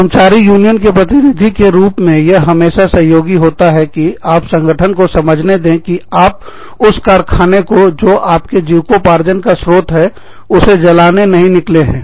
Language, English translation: Hindi, s union, it always helps to let the organization know, that you are not out to burn down, the very factory, that is giving you, your source of living